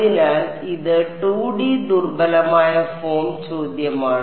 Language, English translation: Malayalam, So, this is the 2D weak form question